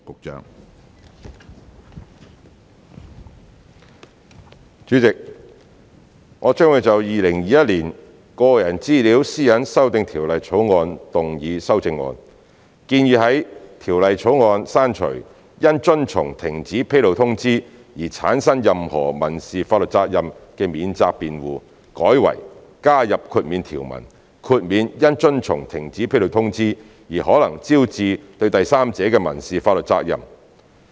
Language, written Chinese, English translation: Cantonese, 主席，我將會就《2021年個人資料條例草案》動議修正案，建議在《條例草案》刪除因遵從停止披露通知而產生任何民事法律責任的免責辯護，改為加入豁免條文，豁免因遵從停止披露通知而可能招致對第三者的民事法律責任。, Chairman I will move an amendment to the Personal Data Privacy Amendment Bill 2021 the Bill to propose that the defence of any civil liability arising from compliance with a cessation notice be removed from the Bill and replaced by an exemption provision exempting from civil liability to third parties that may arise from compliance with a cessation notice